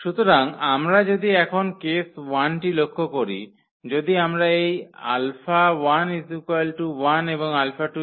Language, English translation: Bengali, So, if we notice now the case 1, if we take this alpha 1 is equal to 1 and alpha 2 is equal to 0